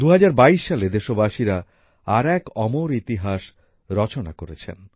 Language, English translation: Bengali, In 2022, the countrymen have scripted another chapter of immortal history